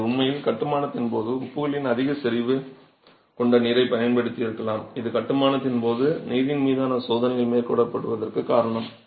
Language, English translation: Tamil, It could actually be during construction itself you have used water that has a heavy concentration of salts which is the reason why tests on water are carried out during construction so that you don't have these undesirable salts